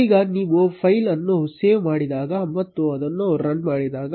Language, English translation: Kannada, Now when you save the file and run it